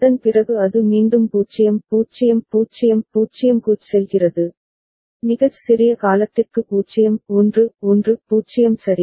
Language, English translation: Tamil, After that it again goes to 0 0 0 0, for very small duration staying at 0 1 1 0 ok